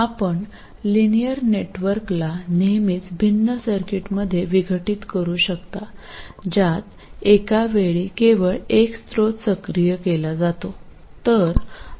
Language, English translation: Marathi, You can always decompose the linear network into different circuits in which only one source is activated at a time